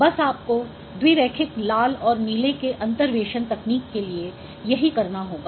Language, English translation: Hindi, So that is what you need to do to get red and blue for the bilinear interpolation technique